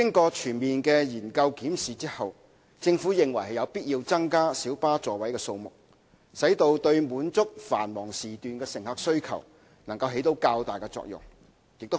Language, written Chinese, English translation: Cantonese, 經全面研究檢視後，政府認為有必要增加小巴座位數目，使之對滿足繁忙時段乘客需求方面，能夠發揮較大作用。, After a comprehensive study and examination the Government considered it necessary to increase the seating capacity of light buses so that they can play a better role in meeting passenger demand during peak periods